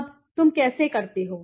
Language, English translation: Hindi, Now, how do you do that